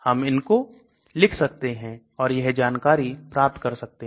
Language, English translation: Hindi, We can write to them and also get this information